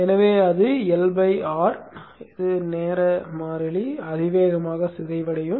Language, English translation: Tamil, So it will be decaying with the L by R time constant exponentially